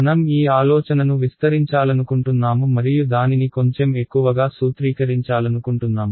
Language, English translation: Telugu, We want to extend this idea and sort of formulize it a little bit more